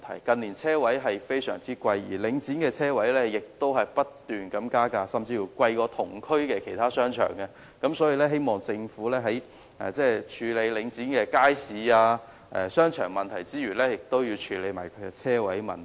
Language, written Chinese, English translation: Cantonese, 近年，車位的價格相當昂貴，而領展的車位亦不斷加價，甚至較同區其他商場的價格昂貴，所以我希望政府除了處理領展的街市和商場問題外，亦要處理車位的問題。, In recent years the prices of parking spaces are very high . The prices of spaces in Link REIT car parks keep rising which may be higher than prices of parking spaces in other shopping arcades in the same district . For this reason I urge the Government to address the issues of car parking facilities in addition to the problems with markets and shopping arcades under Link REIT